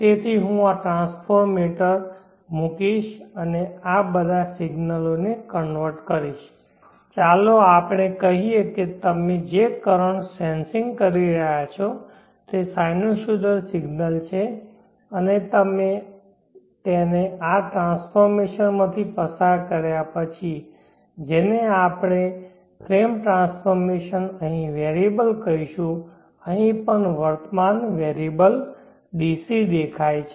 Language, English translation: Gujarati, So that is the AC domain and this region will be the DC domain, so I will put a transfer meter and convert all these signals let us say the currents that you are sensing are sinusoidal signals and after you pass it through this transformation, what we call frame transformation the variable here even the current variable here will appear DC